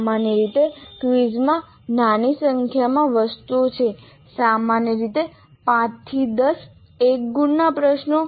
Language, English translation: Gujarati, Prices normally consists of a small number of items, 5 to 10 one mark questions